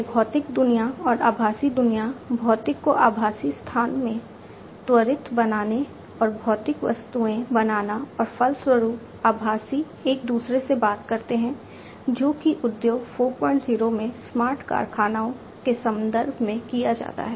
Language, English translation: Hindi, So, basically, you know, this physical world and the virtual world, instantiation of the physical into the virtual space and making the physical objects and consequently the virtual ones talk to one another is what is done in the context of smart factories in Industry 4